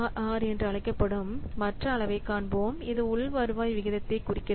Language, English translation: Tamil, Next, we'll see the other measure that is called as IRR, which stands for internal rate of return